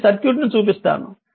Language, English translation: Telugu, So so this is the circuit I have drawn